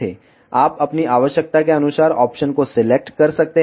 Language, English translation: Hindi, You can select the option according to your requirement